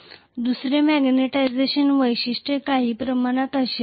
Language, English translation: Marathi, The second magnetization characteristics will be somewhat like this